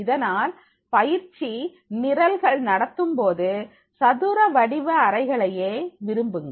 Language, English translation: Tamil, So always prefer while conducting the training programs, the square rooms are to be preferred